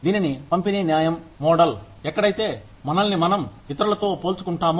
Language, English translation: Telugu, This is called, the distributive justice model, where we compare ourselves to others